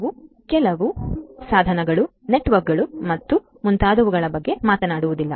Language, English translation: Kannada, We are not just talking about devices networks and so on